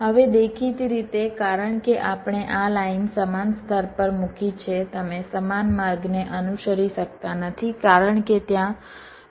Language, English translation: Gujarati, now, obviously, since we have laid out this line on the same layer, you cannot follow the same route because there would be cross